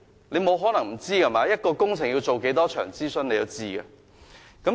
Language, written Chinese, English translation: Cantonese, 你不可能不知道的，一項工程要做多少場諮詢，你是知道的。, Do you not know that? . You must not say that you have no idea . You should know how many consultation sessions have to be conducted before a project can commence